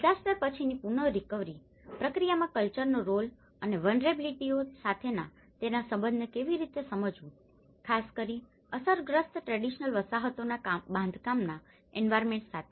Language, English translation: Gujarati, How to understand the role of culture in the post disaster recovery process and its relation to the vulnerability, especially, in particular to the built environment of affected traditional settlements